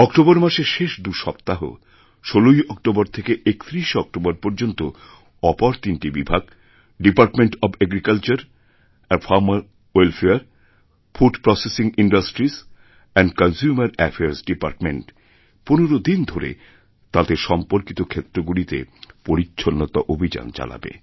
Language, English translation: Bengali, Then during last two weeks of October from 16th October to 31st October, three more departments, namely Agriculture and Farmer Welfare, Food Processing Industries and Consumer Affairs are going to take up cleanliness campaigns in the concerned areas